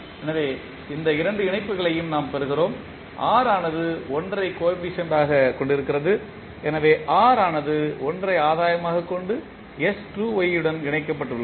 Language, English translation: Tamil, So, we get these two connections and r is having 1 as coefficient so r is connected to s square y with 1 as the gain